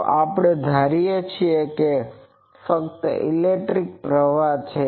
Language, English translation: Gujarati, So, we assume that there is only electric current